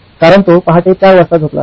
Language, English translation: Marathi, Because he has slept at 4 am in the morning